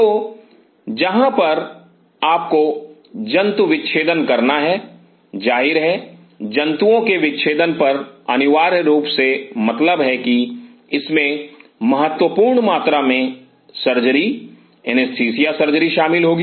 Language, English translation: Hindi, So, where you have to dissect animals; obviously, dissecting animals essentially means that there will be significant amount of surgery anesthesia surgery involved